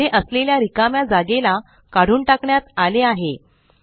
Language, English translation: Marathi, The white space that was here has been completely removed